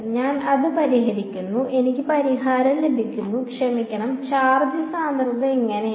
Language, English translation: Malayalam, I solve it I get the solution and this is what the sorry the so charge density this is what it looks like